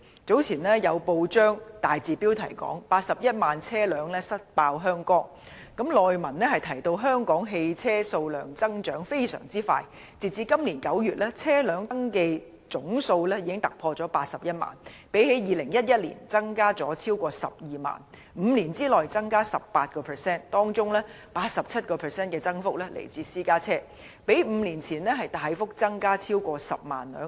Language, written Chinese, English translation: Cantonese, 早前有報章大字標題報道 "81 萬車輛塞爆香江"，內文提到香港汽車數量增長非常迅速，截止今年9月，車輛登記總數已突破81萬輛，相較2011年增加超過12萬輛 ，5 年內增加 18%； 當中 87% 的增幅來自私家車，較5年前大幅增加超過10萬輛。, Earlier it was reported in a newspaper article entitled Hong Kong jammed with 810 000 vehicles . The article said that the number of vehicles in Hong Kong has been increasing rapidly . As at September this year the total number of registered vehicles has exceeded 810 000 which is 120 000 more than that in 2011 representing an increase of 18 % in five years